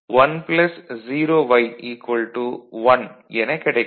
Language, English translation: Tamil, So, this is y right